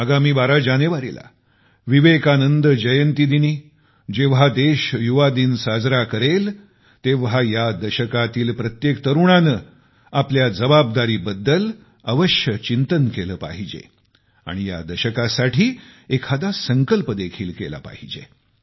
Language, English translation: Marathi, On the birth anniversary of Vivekanand on the 12th of January, on the occasion of National Youth Day, every young person should give a thought to this responsibility, taking on resolve or the other for this decade